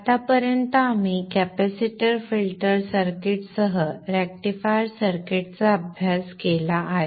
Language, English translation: Marathi, So till now we have studied the rectifiers circuit, the capacitor filters are cute